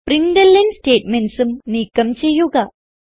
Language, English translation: Malayalam, We will also remove the println statements